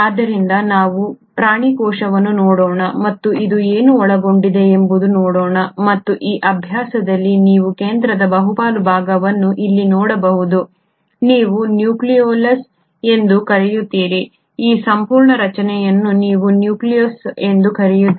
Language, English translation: Kannada, So let us look at the animal cell and what all it will contain and in this exercise you can see the central most part here is what you call as is the nucleolus, this entire structure is what you call as the nucleus